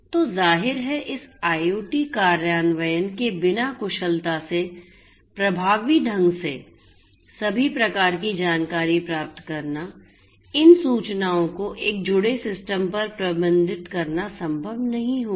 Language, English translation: Hindi, So, obviously, without this IoT implementation efficiently effectively getting all of these types of information managing these information over a connected system would not be possible